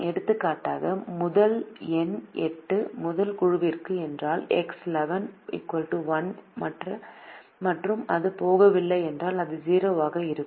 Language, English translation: Tamil, for example, if the first number, eight, goes to the first group, then x one one is equal to one, and if it does not go, it will be zero